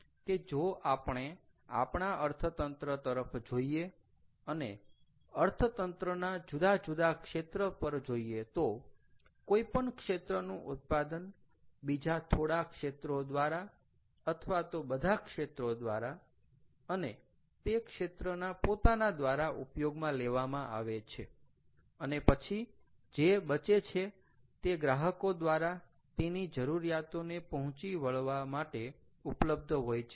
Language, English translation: Gujarati, so this kind of tries to tell us that, you know, if we look at the economy and look at the different sectors of economy, the output of any sector is used up by all, by some or all of the other sectors, as well as by the sector itself, and then whatever is left after that is available for use by the consumers to meet their demands and also, lets say, for export